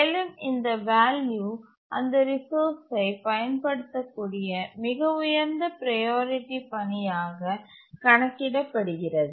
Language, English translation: Tamil, The ceiling value is computed as the highest priority task that can use that resource